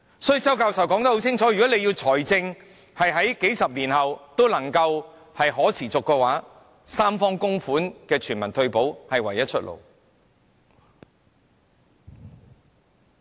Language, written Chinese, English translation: Cantonese, 所以，周教授清楚說明，如果政府要維持財政持續數十年，三方供款的全民退保計劃是唯一的出路。, That is why Prof CHOW makes it clear that a universal retirement protection scheme with tripartite contributions is the only way that the Government can make retirement protection financially viable for decades to come